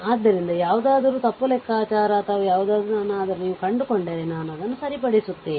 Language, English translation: Kannada, Anything you find that wrong calculation or anything then I will rectify it